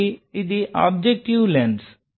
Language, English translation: Telugu, So, this is the objective lens